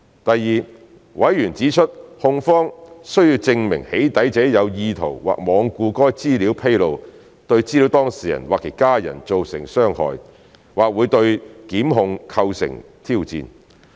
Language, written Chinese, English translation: Cantonese, 第二，委員指出控方需證明"起底"者有意圖或罔顧該資料披露對資料當事人或其家人造成傷害，或會對檢控構成挑戰。, Secondly members pointed out that the prosecution would need to prove that the doxxer had an intent or was being reckless as to the causing of any specified harm to the data subject or any family member of the data subject by that disclosure which might pose a challenge to the prosecution